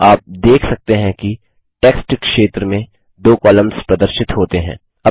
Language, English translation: Hindi, You see that 2 columns get displayed in the text area